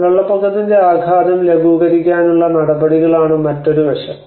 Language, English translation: Malayalam, The other aspect is the measures to mitigate the impact of floodwater